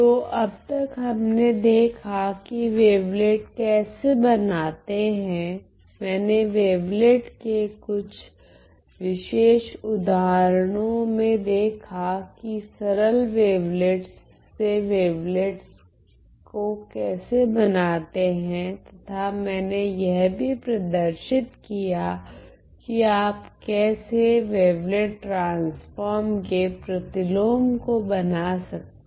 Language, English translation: Hindi, So, so far I have seen how to construct wavelets, I have looked at some particular examples of wavelets, how to construct further construct wavelets from some simple wavelets and further I have also shown you how to construct the inverse of the wavelet transform